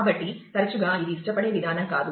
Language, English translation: Telugu, So, often this is not a preferred mechanism either